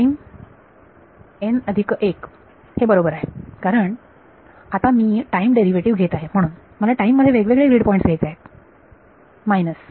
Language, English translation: Marathi, n plus 1 that is a right because now I am taking a time derivative so, I have to take different grid points in time minus